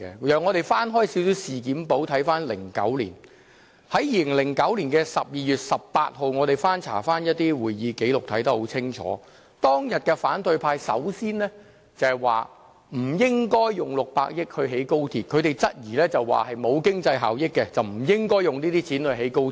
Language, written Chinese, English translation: Cantonese, 讓我們翻開事件簿看看2009年，在2009年12月18日，我們翻查一些會議紀錄，我們清楚看到，反對派當天首先說不應用600億元興建高鐵，他們質疑沒有經濟效益，不應用這些錢興建高鐵。, We can look for the year 2009 in the XRL logbook . In the minutes of meeting on 18 December 2009 we can clearly see that the opposition camp opposed the 60 billion funding for the XRL project from the very outset . They were doubtful of the XRL projects economic benefits and thus the suitability to spend 60 billion to build the rail link